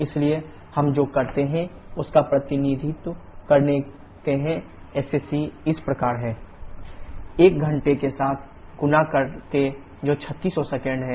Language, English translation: Hindi, So what we do is we represent SSC as 3600 by w net kg per kilowatt hour by multiplying with 1 hour that is 3600 seconds